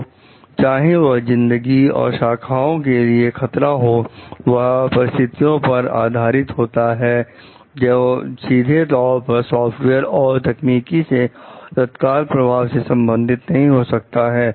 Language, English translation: Hindi, So, but whether they threaten life and limb may depend on other circumstances which may not be directly linked with the software and the technology it immediately affects